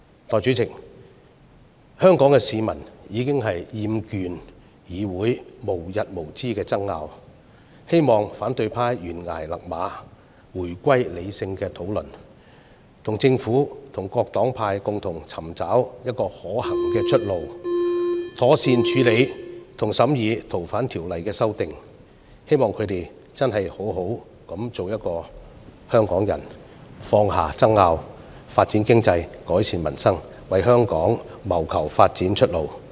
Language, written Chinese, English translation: Cantonese, 代理主席，香港市民已經厭倦議會無日無之的爭拗，希望反對派懸崖勒馬，回歸理性的討論，與政府和各黨派共同尋找可行的出路，妥善處理和審議《條例草案》，希望他們好好地做香港人，放下爭拗、發展經濟、改善民生，為香港謀求發展出路。, Deputy President Hong Kong people are tired of the endless disputes in the Council . I hope the opposition camp will rein in at the brink of the precipice return to rational discussions and together with the Government and various political parties find a viable way to properly deal with and scrutinize the Bill . It is also hoped that they will acquit themselves as decent Hong Kong citizens and put aside their disagreement to focus on economic development and improving peoples livelihood so as to seek a way out for Hong Kong